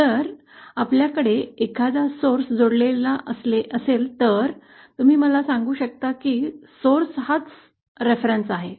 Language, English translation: Marathi, If we have a source connected, then you might tell me that source itself is a reference